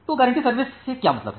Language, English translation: Hindi, So, what is mean by guaranteed service